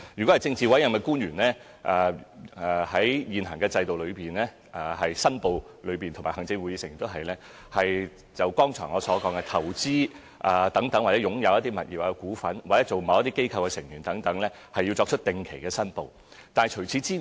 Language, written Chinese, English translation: Cantonese, 至於政治委任官員和行政會議成員，正如我剛才所說，在現行申報制度下，對於投資、擁有的物業和股份，或任職某些機構的成員等，他們均要作出定期申報。, With respect to politically appointed officials PAOs and Members of the Executive Council ExCo as I have pointed out just now under the current declaration system they are required to regularly declare investments property and shares held by them or their membership of certain organizations and so on